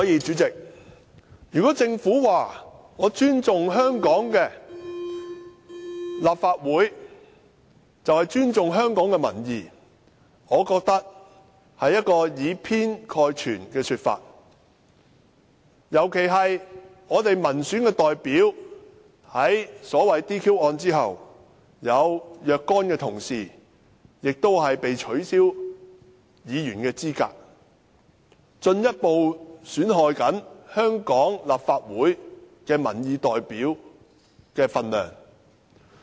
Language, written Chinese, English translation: Cantonese, 主席，如果政府說，它尊重立法會，就是尊重香港的民意，我覺得這是以偏概全的說法，尤其是民選代表在 "DQ 案"後，有若干議員被取消資格，進一步損害香港立法會民意代表的分量。, President the Government says that by showing respect for the Legislative Council it is showing respect for public views . I think this is a sweeping generalization . This is especially true after the DQ case which led to the disqualification of certain Members